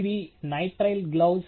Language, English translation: Telugu, These are nitrile gloves